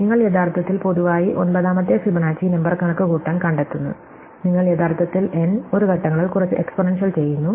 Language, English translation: Malayalam, So, you can actually find in general, that in order to compute the nth Fibonacci number, you actually do some exponential in n one steps